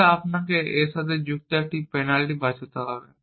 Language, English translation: Bengali, Then you would have to save a penalty associated with that